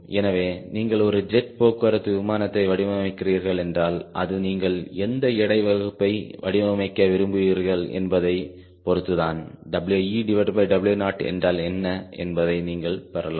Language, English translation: Tamil, so if you are designing a jet transport airplane then depending upon what weight class you want to design, you can get roughly what is w e by w naught